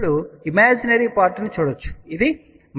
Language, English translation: Telugu, The imaginary part is now you can see this is minus j 0